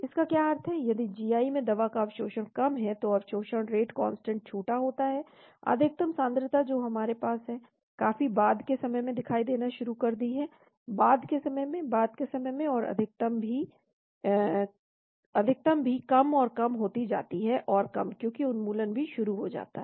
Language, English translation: Hindi, What it means is if the absorption of the drug in the GI is smaller, the absorption rate constant is smaller, the maximum concentration we have starts happening much at a later time, later time, later time, and the maximum also is lesser and lesser and lesser, because elimination also starts kicking in